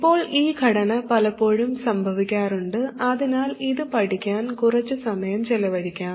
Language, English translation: Malayalam, Now this structure occurs quite often, so let's spend some time studying this